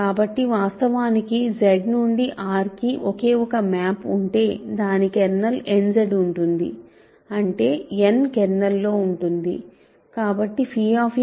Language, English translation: Telugu, So, actually let me do it like this Z to R there is a map kernel is n; that means, n is contained in the kernel